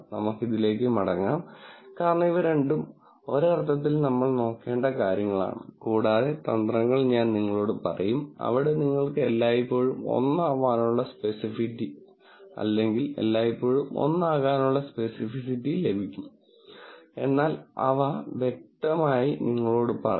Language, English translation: Malayalam, We will come back to this, be cause these are in some sense both things that we should look at and I will tell you strategies, where, you can get sensitivity be 1 always or specificity to be 1 always, but clearly, will also tell you that those will not be the most effective classifiers for us to use